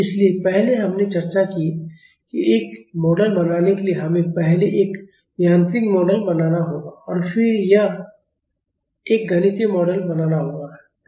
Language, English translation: Hindi, So, earlier we have discussed that to make a model we have to make a mechanical model first and then make a mathematical model